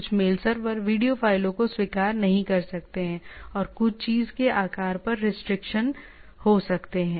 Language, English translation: Hindi, Some mail servers may not accept video files, and that some there are may be restriction on the size of the thing